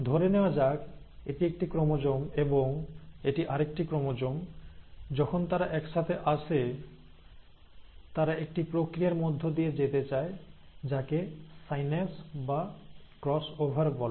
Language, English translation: Bengali, So assume this is one chromosome, and this is another chromosome, when they come together, they tend to undergo a process called as synapse, or cross over